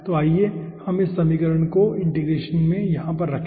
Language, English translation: Hindi, so let us put this expression over there in a integration